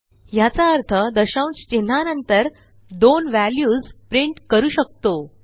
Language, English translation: Marathi, It denotes that we can print only two values after the decimal point